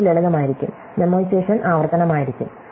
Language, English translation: Malayalam, It is going to be just the simple, memoization is going to be recursive